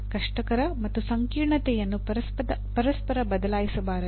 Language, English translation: Kannada, Difficulty and complexity should not be interchangeably used